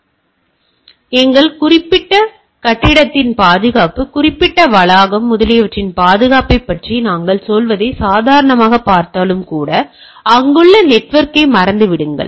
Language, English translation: Tamil, So, it is even if we look at our normal say what we say security of our particular building, particular campus, etcetera forget about the network that is also things are there